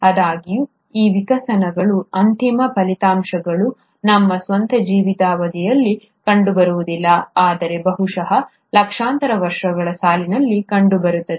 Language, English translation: Kannada, However, the end results of these evolutions are not going to be seen in our own lifetimes, but probably in millions of years down the line